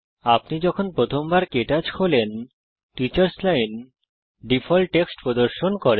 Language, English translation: Bengali, The first time you open KTouch, the Teachers Line displays default text